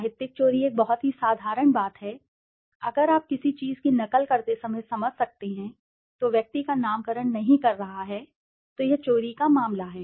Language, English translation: Hindi, Plagiarism is a very simple thing, if you can understand while copying something verbatim, and is not naming the person is a case of plagiarism